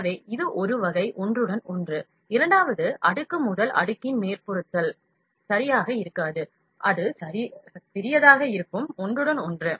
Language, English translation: Tamil, So, this is kind of an overlap, the second layer would not be exactly on the top of the first layer; it will be little overlapping